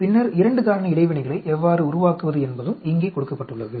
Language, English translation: Tamil, Do you understand and then, how to build up the 2 factor interactions also is given here